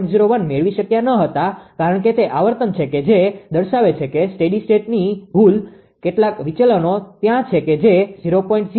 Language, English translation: Gujarati, 01 because that is frequency that it it is showing that steady state error some deviation is there that minus 0